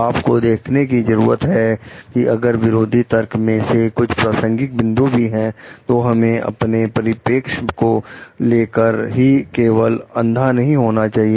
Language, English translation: Hindi, And you need to see if there are any relevant points in the counter arguments also, see we should not be blind towards our own perspective only